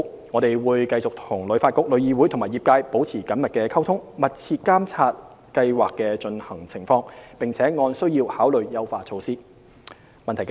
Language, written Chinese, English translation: Cantonese, 我們會與旅發局、旅議會和業界等保持緊密溝通，密切監察計劃的推行情況，並按需要考慮優化措施。, We will maintain close liaison with HKTB TIC the travel trade etc to closely monitor the implementation of the Scheme and consider enhancement measures as required